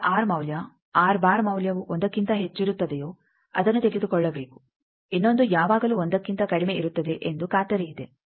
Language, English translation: Kannada, The one with higher the 1 with r value r bar value greater than 1 that will have to take the other will be always less than 1 guaranteed